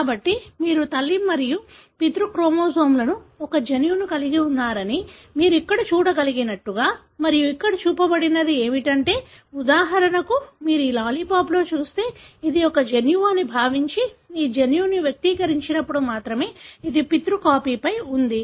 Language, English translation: Telugu, So, as you can see here that you have a gene that is present in both maternal and paternal chromosomes and what is shown here is that, for example if you look into this lollipop, assuming this is a gene, this gene is expressed only when it is located on the paternal paternal copy